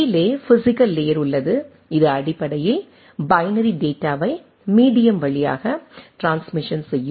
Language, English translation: Tamil, And down the below is the physical layer which is basically transmission of the binary data through the medium